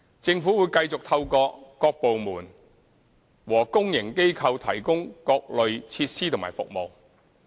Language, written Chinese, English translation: Cantonese, 政府會繼續透過各部門和公營機構提供各類設施和服務。, The Government will continue to provide a wide range of facilities and services through various departments and public organizations